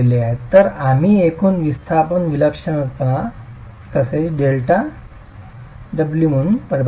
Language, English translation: Marathi, So, we define the total displacement eccentricity plus delta as omega